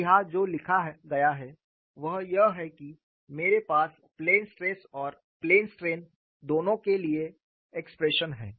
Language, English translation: Hindi, And what is written here is I have the expressions for both plane stress as well as plane strain